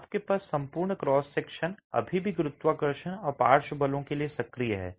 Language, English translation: Hindi, You have the entire cross section still active for gravity and for lateral forces